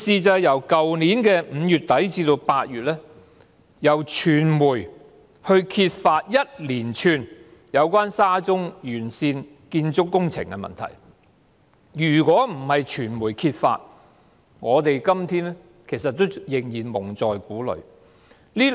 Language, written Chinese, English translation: Cantonese, 在去年5月底至8月，傳媒揭發了一連串有關沙中線沿線建築工程的問題；如果不是傳媒揭發，我們到今天仍然會被蒙在鼓裏。, From late May to August last year a series of issues relating to the construction works along SCL were exposed by the media . Without these exposures by the media we will still be kept in the dark today